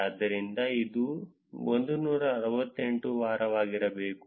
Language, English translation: Kannada, So, this is 168 should be the week